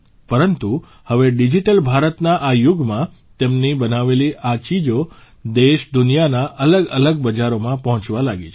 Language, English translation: Gujarati, But now in this era of Digital India, the products made by them have started reaching different markets in the country and the world